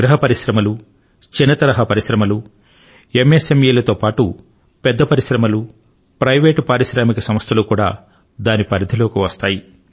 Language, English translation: Telugu, Be it cottage industries, small industries, MSMEs and along with this big industries and private entrepreneurs too come in the ambit of this